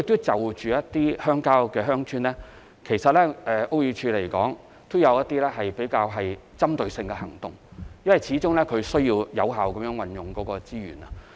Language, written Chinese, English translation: Cantonese, 至於鄉郊或鄉村，屋宇署有一些針對性的行動，因為始終需要有效運用資源。, For rural areas or villages BD takes some targeted actions because after all we need to use resources effectively